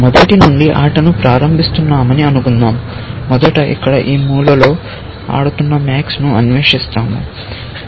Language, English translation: Telugu, Let us say we are starting the game from the beginning, and then, first we explore max, playing at this corner, here